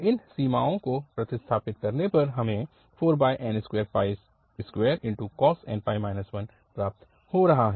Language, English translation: Hindi, After substituting this limit 4 over n pi square we are getting cos n pi and this minus 1